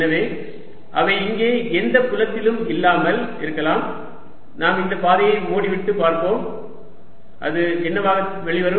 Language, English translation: Tamil, ok, so, although they may not be any field out here, but i'll make this path closed and let us see what does it come out to be